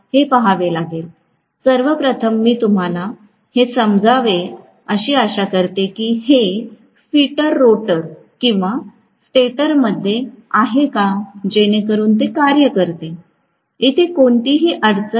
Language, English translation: Marathi, First of all, I want you guys to understand that whether the field is housed in the rotor or stator it should work, there is no problem